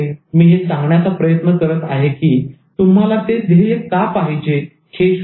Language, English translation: Marathi, The point I am trying to make is find out why you want the goal